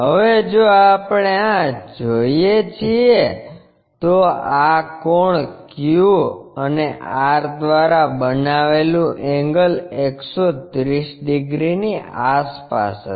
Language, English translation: Gujarati, Now, if we are seeing this, this angle the angle made by Q and R will be around 113 degrees